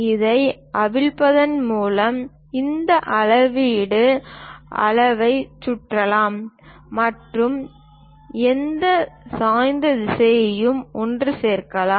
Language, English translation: Tamil, So, by unscrewing this, this measuring scale can be rotated and any incline direction also it can be assembled